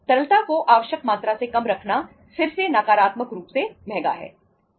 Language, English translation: Hindi, Keeping lesser than the required amount of liquidity is again expensive negatively